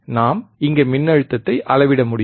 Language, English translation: Tamil, wWe have we can measure the voltage here